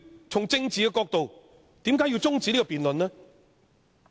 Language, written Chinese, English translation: Cantonese, 從政治的角度，何以要中止這項辯論呢？, From the political perspective why should this debate be adjourned?